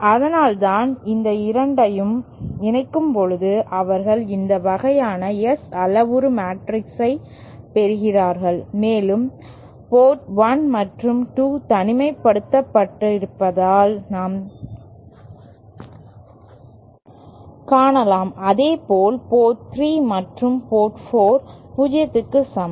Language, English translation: Tamil, And that is why when combining both these, they are getting this kind of S parameter matrix and as we can see port 1 and 2 are isolated and similarly port port 3 and 4 they are also sorry, port 3 and 4, this value and this value is also equal to 0